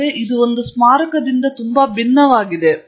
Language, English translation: Kannada, But it is also very different from a monument